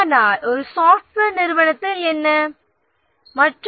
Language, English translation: Tamil, But what about in a software organization